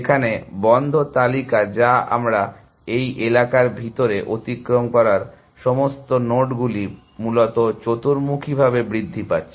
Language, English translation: Bengali, Whereas, the close list, which is all the nodes that we have traverse inside this area is growing quadratically essentially